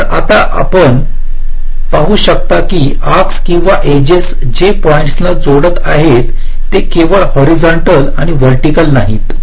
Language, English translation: Marathi, so now you can see that the arcs, or the edges that are connecting the points, they are not horizontal and vertical only